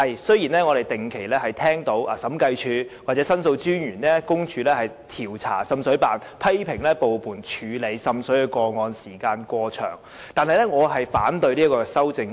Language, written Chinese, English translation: Cantonese, 雖然我們不時會聽到審計署或申訴專員公署調查滲水辦，並批評部門處理滲水個案時間過長，但我反對上述修正案。, Yes we can hear from time to time that investigation into the performance of the Joint Office is conducted by the Audit Commission and the Office of the Ombudsman and that they both criticize it for taking too a long a time to handle water seepage complaints . But I still oppose the amendments